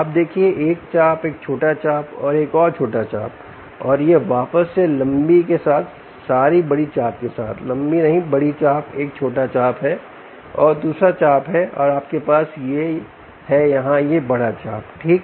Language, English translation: Hindi, you see one arc, a smaller arc and another smaller arc and its back again with the longer, with bigger arc, sorry, not longer, bigger arc